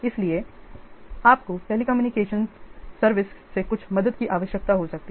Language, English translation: Hindi, So, you may require some help of telecommunication services